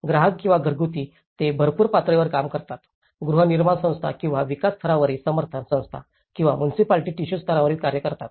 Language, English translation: Marathi, The consumer or households they act on infill level, the housing corporation or a development agency on a support level or the municipality works on a tissue level